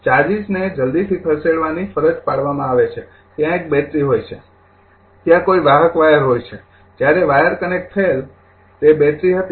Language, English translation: Gujarati, The charges are compelled to move so, as soon as a, you know battery is there a conducting wire is there so, as soon as the connected the wire that was the battery